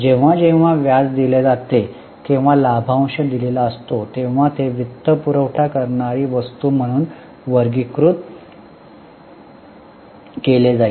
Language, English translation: Marathi, Whenever interest is paid or dividend is paid, it will be categorized as a financing item